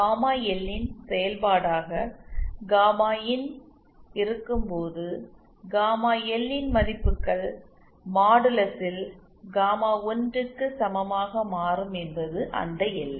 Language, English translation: Tamil, It means that when gamma in as a function of gamma L so those values of gamma L for which gamma in modulus becomes equal to 1 is that boundary